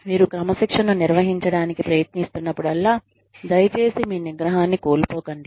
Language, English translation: Telugu, Whenever, you are trying to administer discipline, please do not, lose your temper